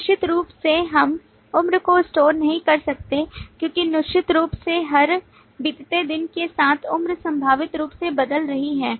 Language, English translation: Hindi, Certainly we cannot store the age because certainly with every passing day the age is potentially changing, So we cannot update that data